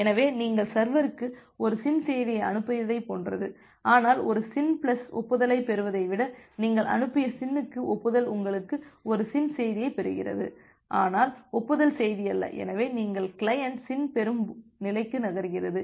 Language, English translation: Tamil, So, it is just like that you have sent a SYN message to the server, but rather than getting a SYN plus acknowledgement, the acknowledgement to the SYN that you have sent you are getting a SYN message and not the acknowledgement message, so you are the client is moving to the SYN receive state